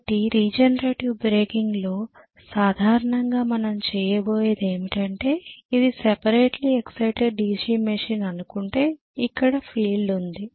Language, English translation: Telugu, So in regenerator breaking normally what we are going to do is, let us say this is my machine, this is separately excited DC machine and I am having field here okay